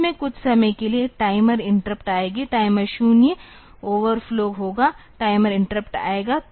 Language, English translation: Hindi, In between some time the timer interrupt will come; timer 0 will overflow, timer interrupt will come